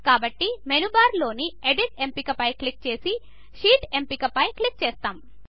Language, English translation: Telugu, So we click on the Edit option in the menu bar and then click on the Sheet option